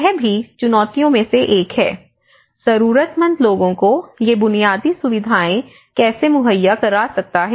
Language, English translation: Hindi, So, this is also one of the challenge, how one can take these infrastructure facilities to the most affected